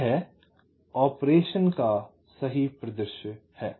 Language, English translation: Hindi, this is the correct scenario of operation